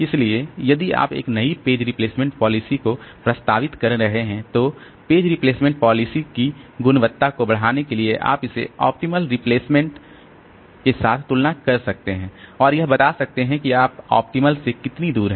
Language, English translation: Hindi, So, if you are proposing a new page replacement policy then to judge the quality of the page replacement policy so you can compare with this optimal replacement and that can tell you like what is the how far are you from the optimal